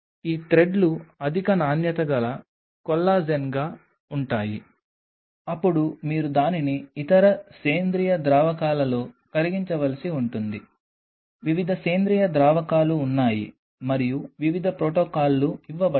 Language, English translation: Telugu, These threads are high quality collagen, then you have to dissolve it in other Organic Solvents there are different organic solvents and there are different protocols which are given